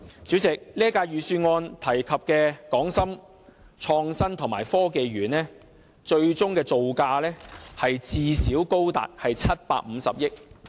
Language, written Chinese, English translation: Cantonese, 主席，這份預算案提及的港深創新及科技園，最終造價最少高達750億元。, President the final project cost of the Park mentioned in this Budget will at least be as high as 75 billion excluding the loss caused by the inevitable cost overrun and delay